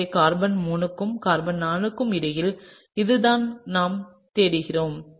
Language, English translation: Tamil, So, this is what we are looking through is between carbon 3 and carbon 4